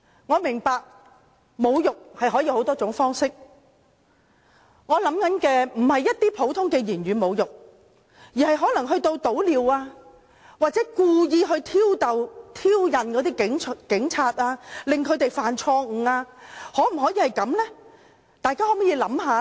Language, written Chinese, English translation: Cantonese, 我明白侮辱可有多種方式，我所想的並非一些普通的言語侮辱，而是潑尿或故意挑釁警察，令他們犯錯，大家想想這樣行嗎？, I understand that insult can come in many ways . I did not mean ordinary verbal insults but splashing urine or deliberately provoking police officers causing them to misconduct themselves . Are these acceptable?